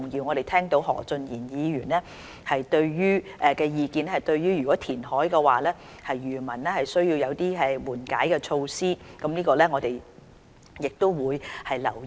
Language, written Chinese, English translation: Cantonese, 我們聽到何俊賢議員的意見，若進行填海的話，需要對漁民提供緩解措施，我們亦會留意。, We have listened to the comments made by Mr Steven HO who suggested providing relief measures to fishermen if reclamation is to be conducted